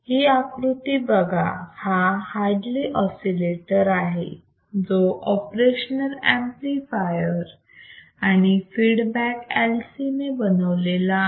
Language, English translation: Marathi, So, consider the figure in which Hartley oscillator is constructed with operational amplifier and a feedback LC, a feedback LC